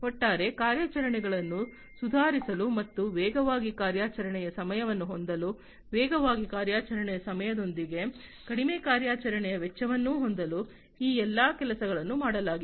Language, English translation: Kannada, So, basically all these things have been done in order to improve upon the overall operations and to have faster operating time, lower operational cost with faster operating time